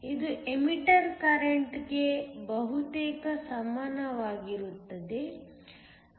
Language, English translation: Kannada, It is almost equal to the emitter current